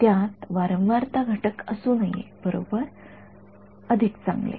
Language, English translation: Marathi, It should not have frequency components right very good right